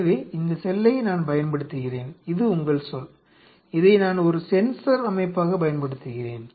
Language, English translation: Tamil, So, I use the cell this is your cell, I use this as a sensor system